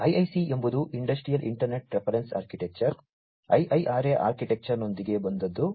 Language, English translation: Kannada, So, this IIC is the one which came up with that the Industrial Internet Reference Architecture, IIRA architecture